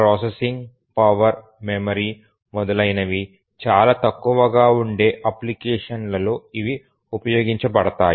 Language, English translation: Telugu, So those are used in very simple applications where the processing power, memory, etc